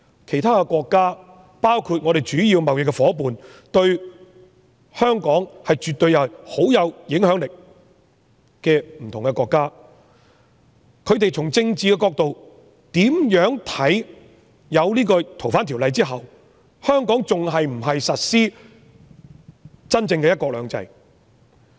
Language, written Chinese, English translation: Cantonese, 其他國家，包括我們主要的貿易夥伴、對香港十分有影響力的不同國家，從政治角度，會否認為修訂《逃犯條例》後，香港仍然實施真正的"一國兩制"呢？, After amending the Ordinance will other countries including our major trading partners and countries which have a strong influence on Hong Kong consider from their political perspectives that Hong Kong still truly implements one country two systems?